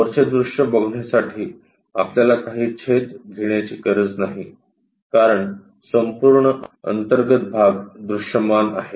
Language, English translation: Marathi, Top view, we do not have to really make any cut to visualize that because entire internal part is visible